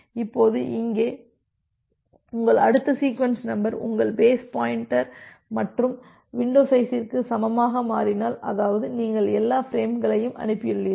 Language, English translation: Tamil, Now, here if your next sequence number if your next sequence number becomes equal to your base plus window size: that means, you have transmitted all the frame